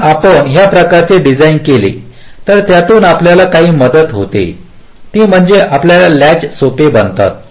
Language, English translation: Marathi, ok, so if you do this kind of a design, what it helps you in that is that your latches becomes simpler